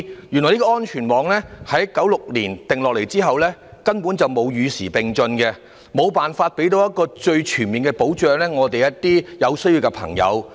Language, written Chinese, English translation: Cantonese, 原來這個安全網自1996年訂立後，根本沒有與時並進，無法提供最全面的保障給有需要的人士。, Since its inception in 1996 the safety net has absolutely not been kept abreast of the times and it has failed to provide the most comprehensive protection to those in need